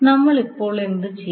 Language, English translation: Malayalam, So what we will do now